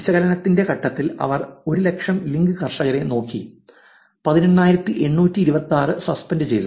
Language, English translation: Malayalam, They looked at top 100,000 link farmers at the point of analysis of which of course, 18826 were suspended